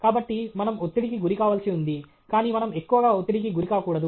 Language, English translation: Telugu, So, we need to be stressed, but we should not be too much stressed